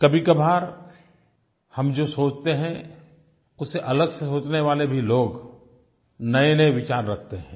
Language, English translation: Hindi, At times, people thinking differently from us also provide new ideas